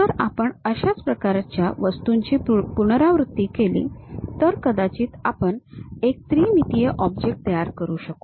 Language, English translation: Marathi, If I repeat similar kind of objects, perhaps I will be in a position to construct three dimensional shapes